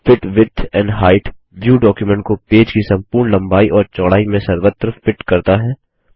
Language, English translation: Hindi, The Fit width and height view fits the document across the entire width and height of the page